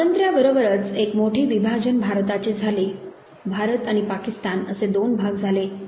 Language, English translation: Marathi, Along with independence came a big divide, partition of India into India and Pakistan